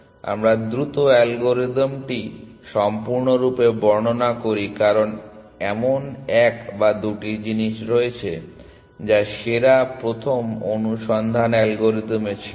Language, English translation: Bengali, So, let us quickly describe the algorithm completely because there are one or two things which were not there in the best first search algorithm